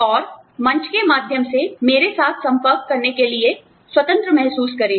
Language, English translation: Hindi, And, please feel free, to get in touch with me, through the forum